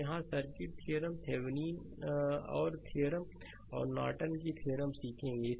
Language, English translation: Hindi, So, here circuit theorem will learn Thevenin’s theorem and Norton’s theorem